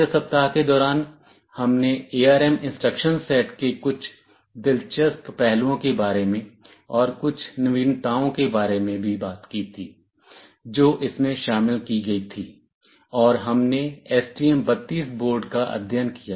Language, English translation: Hindi, During the 2nd week, we talked about some interesting aspects about the ARM instruction set, some innovations that were incorporated therein, and we took as a case study the STM32 board